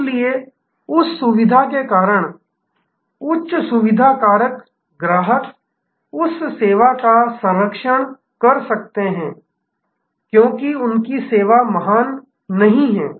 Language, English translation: Hindi, So, because of that convenience, high convenience factor customers may patronize that service not because their service is great